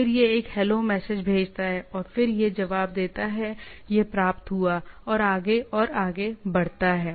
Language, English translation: Hindi, Then it sends a HELO message and then it responses that it is received and go so and so forth